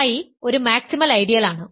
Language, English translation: Malayalam, So, it is a maximal ideal